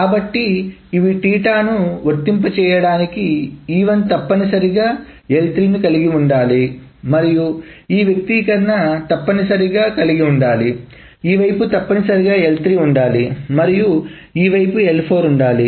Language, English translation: Telugu, So for this theta to apply E1 must contain L3 and this expression must contain so this side must contain L3 and this expression must contain, so this side must contain L3 and this side must contain L4